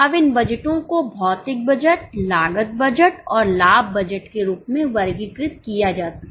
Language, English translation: Hindi, Now these budgets can in turn be grouped as physical budgets, cost budgets and profit budgets